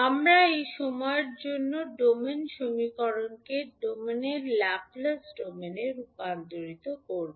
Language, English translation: Bengali, So, we will convert this time domain equation for inductor into Laplace domain that is s domain